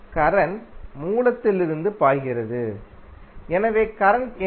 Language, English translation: Tamil, Current is flowing from the source, so what is the current